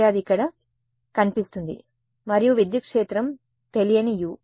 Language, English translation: Telugu, So, it appears over there and electric field is unknown u